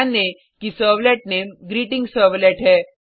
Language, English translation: Hindi, Note that the servlet name is GreetingServlet